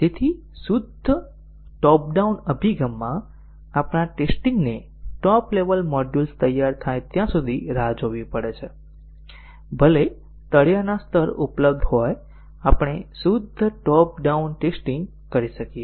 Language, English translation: Gujarati, So, in a purely top down approach, our testing has to wait until the top level modules are ready, even though the bottom levels are available we can do a pure top down testing